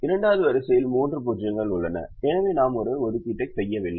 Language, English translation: Tamil, the second row has three zeros, so we don't make an assignment